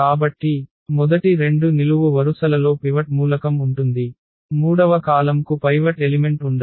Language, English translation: Telugu, So, the first two columns have pivot element that third column does not have pivot element